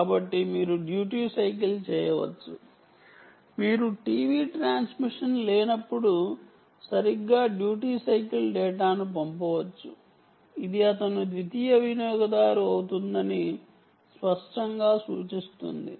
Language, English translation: Telugu, you can duty cycle, send data exactly at the time when there is no t v transmission, ok, which clearly indicates that he becomes a secondary user